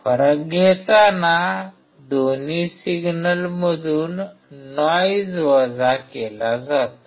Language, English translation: Marathi, While taking the difference, noise is subtracted from both the signals